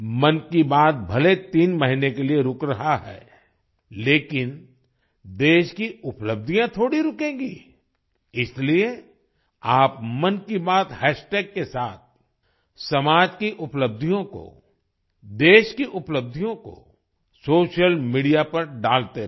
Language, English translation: Hindi, Even though 'Mann Ki Baat' is undergoing a break for three months, the achievements of the country will not stop even for a while, therefore, keep posting the achievements of the society and the country on social media with the hashtag 'Mann Ki Baat'